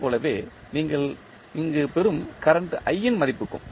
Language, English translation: Tamil, Similarly, for the value of current i which you get here